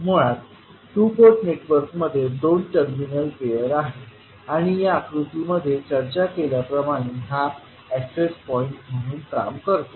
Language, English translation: Marathi, So, basically the two port network has two terminal pairs and acting as access points like we discussed in this particular figure